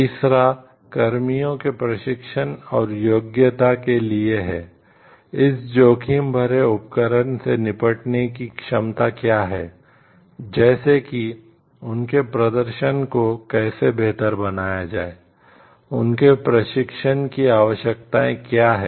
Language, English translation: Hindi, Third is for the training and qualification of personnel the competencies for dealing, with this like high risk involved equipments what are their like how their performances can be improved so, what is their training required